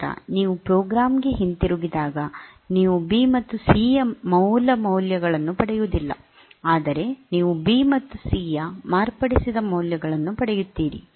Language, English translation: Kannada, Then once you return to the program you do not get the original values of B and C, but you get the modified values of B and C